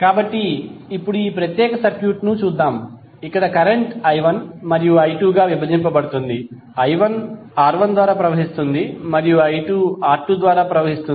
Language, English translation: Telugu, So now let us see this particular circuit where current is being divided into i1 and i2, i1 is flowing through R1 and i2 is flowing through R2